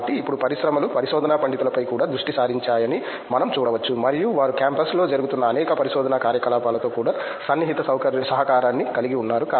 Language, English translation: Telugu, So, now, we can see that the industries are also focusing on research scholars and they are also having close collaboration with lot of research activities that’s happening in the campus